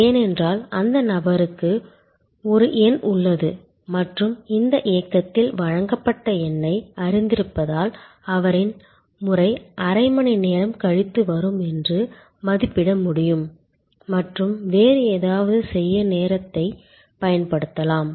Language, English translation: Tamil, Because, that person has a number and knows the number being served at this movement and therefore, can estimate that his turn will come half an hour later and can utilizes the time to do something else